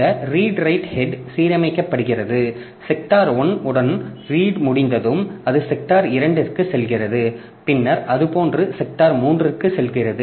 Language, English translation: Tamil, So, what happens is that this read right head it comes, it gets aligned with sector one and when sector one reading is over then it goes to sector two, then it goes to sector 3 like that